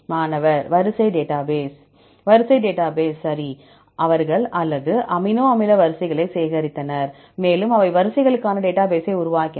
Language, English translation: Tamil, Sequence database right, they collected the or amino acid sequences and they developed database for sequences